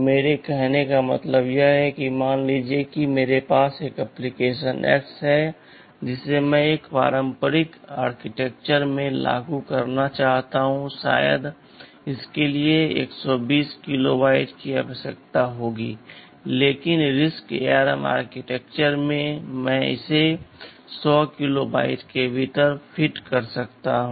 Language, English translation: Hindi, What I mean to say is that, suppose I have an application x X that I want to implement in a conventional architecture maybe it will be requiring 120 kilobytes but in RISC ARM Architecture I can fit it within 100 kilobytes